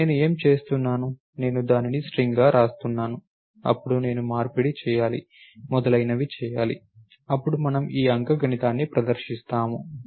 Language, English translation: Telugu, So, what am I doing I am writing it as a string, then I have to do the conversion, so on and so forth, then we perform this arithmetic